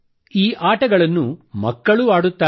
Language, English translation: Kannada, These games are played by children and grownups as well